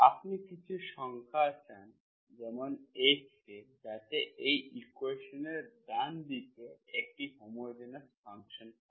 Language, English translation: Bengali, you want to some H, K some numbers so that the right hand side of this equation is homogeneous function